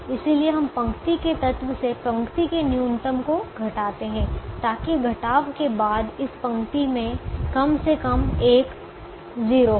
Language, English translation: Hindi, therefore, we subtract the row minimum from element of the row so that after subtraction this row will have atleast one zero